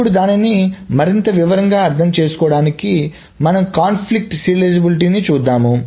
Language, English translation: Telugu, And now to understand it in more detail vis à vis conflict serializability